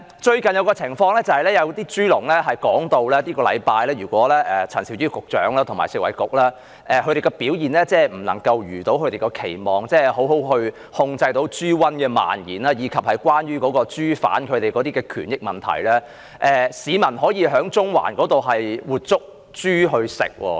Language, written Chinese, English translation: Cantonese, 最近的情況是有豬農表示，如果陳肇始局長和食物及衞生局這個星期的表現未如期望，即未能妥善控制豬瘟的蔓延，以及處理有關豬販的權益問題，市民便可以在中環捉活豬來吃。, The latest situation is that some pig farmers said if the performance of Secretary Prof Sophia CHAN and the Food and Health Bureau this week could not meet their expectation ie . if they failed to properly contain the spread of swine fever and deal with the issues concerning the interests of pig farmers people would be able to catch live pigs in Central for consumption